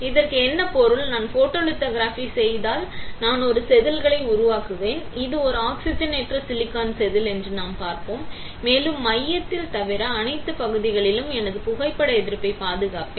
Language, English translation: Tamil, What does it mean; if I perform photolithography, I will be creating a wafer, I will see this is an oxidize silicon wafer, and I will protect my photo resist in all the area except in the centre